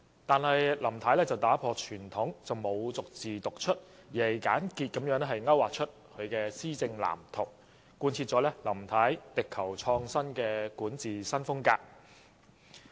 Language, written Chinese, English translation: Cantonese, 不過，林太打破傳統，沒有逐字讀出，而只是簡潔地勾劃出她的施政藍圖，貫徹她力求創新的管治風格。, Nevertheless Mrs LAM broke with the tradition by not reading it out verbatim . Instead she merely outlined her policy blueprint briefly maintaining her governance style of striving for innovation